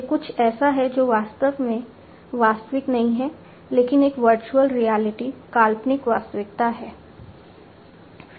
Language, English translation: Hindi, It is something that is not real in fact, but is a virtual reality imaginary reality